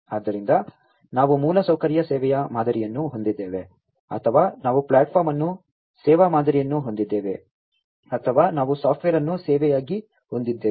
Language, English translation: Kannada, So, we have infrastructure as a service model or we have platform is a service model or we have software as a service